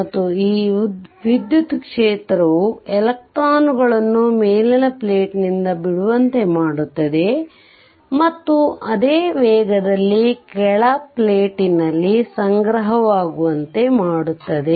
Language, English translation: Kannada, And this electric field forces electrons to leave the upper plate at the same rate that they accumulate on the lower plate right